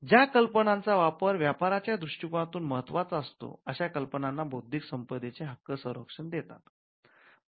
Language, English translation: Marathi, Intellectual property rights generally protect applications of idea and information that are of commercial value